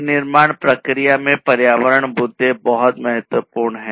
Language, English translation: Hindi, So, environmental issues are very important in the manufacturing process